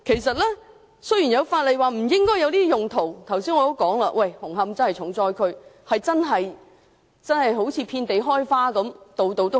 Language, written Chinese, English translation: Cantonese, 雖然法例已表明禁止上述用途，但正如我剛才提及，紅磡確實淪為重災區，違規私營龕場遍地開花。, Although the above uses are prohibited under the law as I have mentioned just now Hung Hom has indeed become a seriously affected area where non - compliant private columbaria are found everywhere